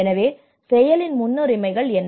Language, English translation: Tamil, So what are the priorities of action